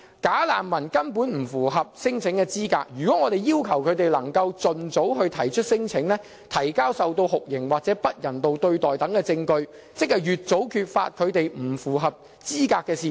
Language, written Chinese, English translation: Cantonese, "假難民"根本不符合聲請資格，如果我們要求他們盡早提出聲請，提交受到酷刑或不人道對待等證據，便可越早揭發他們不符合資格的事實。, Bogus refugees simply are not qualified to lodge a claim but if we require them to lodge their claims as early as possible and ask them to prove the alleged torture or inhuman treatment then we can expose as early as possible the fact that they are not qualified at all